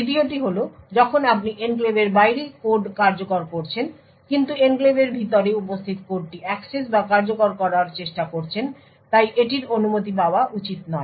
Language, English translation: Bengali, The second is when you are executing code outside the enclave but try to access or execute code which is present inside the enclave so this should not be permitted